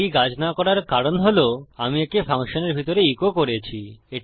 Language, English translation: Bengali, The reason this is not working is because Ive echoed this inside a function